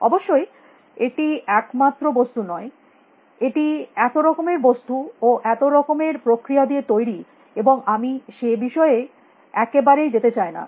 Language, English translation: Bengali, Of course, it is not one thing; it is made up of so many things and so many processes and I do not want to get into that at all